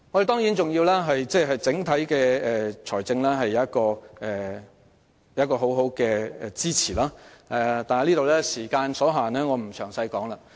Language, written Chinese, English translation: Cantonese, 當然，我們的整體財政亦要有充分支持，但由於時間所限，我便不再在此贅述。, Certainly it is also necessary to provide adequate support in terms of the overall finance . But given the time constraints I will not talk about it at length here